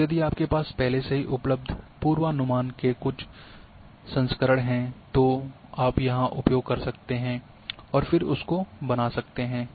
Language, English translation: Hindi, And if you are having some variance of predictions already available that to you can use here and can create that one